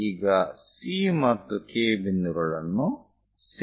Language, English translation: Kannada, Now join C and point K